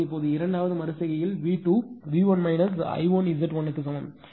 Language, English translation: Tamil, So, now in the second iteration ah V 2 is equal to V 1 minus I 1 Z 1